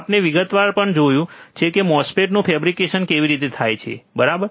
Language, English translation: Gujarati, We have also seen in detail how the MOSFET is fabricated, isn't it